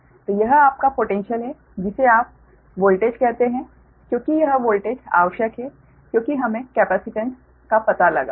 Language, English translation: Hindi, so that is the, that is your potential, or what you call that, your voltage, because this voltage is necessary because we have to find out the capacitance, right